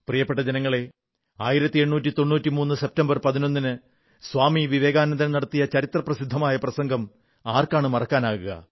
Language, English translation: Malayalam, My dear countrymen, who can forget the historic speech of Swami Vivekananda delivered on September 11, 1893